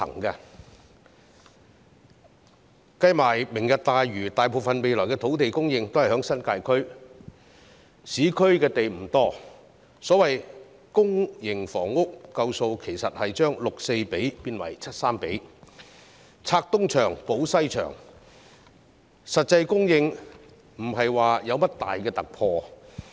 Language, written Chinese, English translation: Cantonese, 算上"明日大嶼"的土地，未來大部分土地供應也是在新界區，市區土地不多，所謂足夠的公營房屋供應，其實只是將 6：4 變成 7：3，" 拆東牆、補西牆"，實際供應沒有甚麼重大突破。, If land to be supplied under Lantau Tomorrow is taken into account most future land supply will come from the New Territories and land supply in the urban areas will be limited . The so - called sufficient public housing supply actually means adjusting the public - private housing ratio from 6col4 to 7col3 robbing Peter to pay Paul . There is no major breakthrough in actual supply